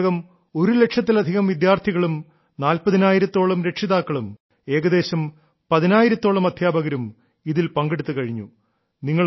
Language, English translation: Malayalam, So far, more than one lakh students, about 40 thousand parents, and about 10 thousand teachers have participated